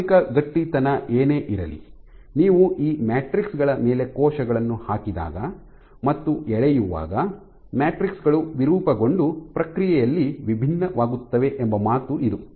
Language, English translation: Kannada, So, this is saying that whatever be the starting stiffness when you put cells on it which pull on these matrices the matrices deform and becomes differ in the process